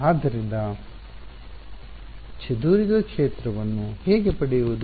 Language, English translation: Kannada, So, how to get the scattered field